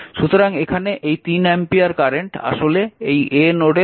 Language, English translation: Bengali, So, this is 3 ampere current so, 3 ampere current actually entering into this node, this is 3 ampere current entering into the node